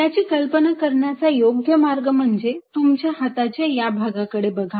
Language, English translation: Marathi, a one way of good way of visualizing it: look at this part of your hand